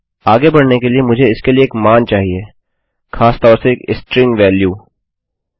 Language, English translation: Hindi, To proceed with, I need a value for this, particularly a string value